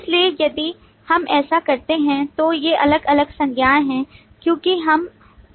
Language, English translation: Hindi, So if you do this, then these are the different nouns as we can identify from this